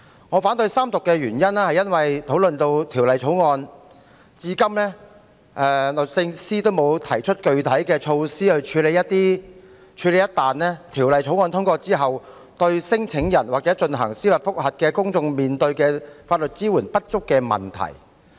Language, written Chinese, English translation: Cantonese, 我反對三讀的原因是，《2019年成文法條例草案》討論至今，律政司仍沒有提出具體的措施處理一旦《條例草案》通過後，聲請人或要求司法覆核的公眾人士所面對法律支援不足的問題。, My reason for opposing the Third Reading of the Statue Law Bill 2019 the Bill is that since our discussion on the Bill the Department of Justice has not put forward any specific measures for tackling the problem of insufficient legal support faced by claimants or members of the public seeking judicial review after the passage of the Bill